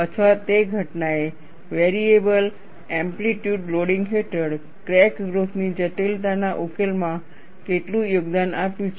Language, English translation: Gujarati, Or how much that phenomenon contributed to the resolution of the complexity of crack growth, under variable amplitude loading